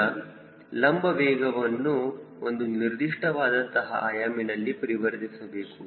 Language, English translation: Kannada, so vertical velocity we have to convert into a particular unit, consistent unit